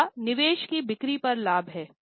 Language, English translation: Hindi, Next is profit on sale of investment